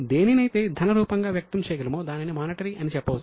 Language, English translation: Telugu, Something which can be expressed in money terms is monetary